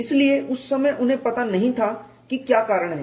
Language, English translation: Hindi, So, at that time they did know what the reason is